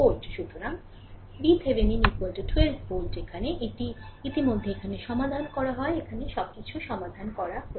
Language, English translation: Bengali, So, V Thevenin is equal to 12 volt here, it is already solved here everything is solved here